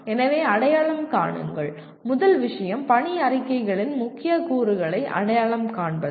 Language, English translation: Tamil, So identify, first thing is identify the key elements of mission statements